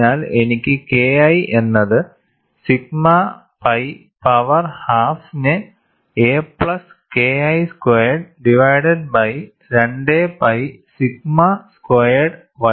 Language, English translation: Malayalam, So, I will get K 1 equal to sigma pi power half multiplied by a plus K 1 square divided by 2 pi sigma square ys